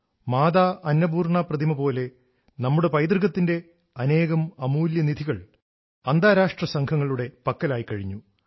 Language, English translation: Malayalam, Just like the idol of Mata Annapurna, a lot of our invaluable heritage has suffered at the hands of International gangs